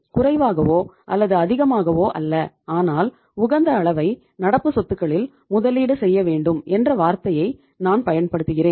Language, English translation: Tamil, I am using the word neither less nor more, optimum investment in the current assets